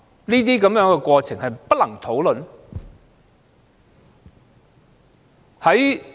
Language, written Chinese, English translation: Cantonese, 這種過程是否不能討論的呢？, Is it that this process cannot be discussed?